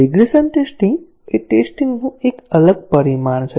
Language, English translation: Gujarati, Regression testing is a different dimension of testing